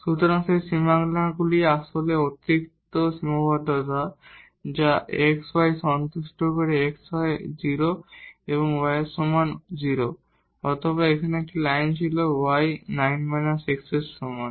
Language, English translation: Bengali, So, those boundaries were actually the additional constraint on the function that x y satisfies either x is equal to 0 or y is equal to 0 or there was a line there y is equal to 9 minus x